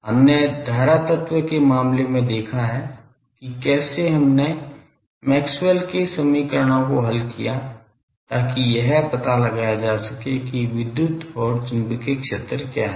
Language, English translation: Hindi, We have seen in case of current element how we solved Maxwell's equations to find out what are the E, H etc